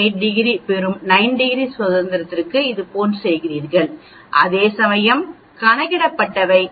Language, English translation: Tamil, So for 9 degrees of freedom go like this, you go like this and read out 0